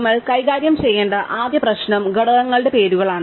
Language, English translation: Malayalam, So, the first issue that we have to deal with is about the names of the components